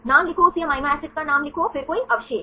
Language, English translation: Hindi, Write the name write the name of the same amino acid then any residues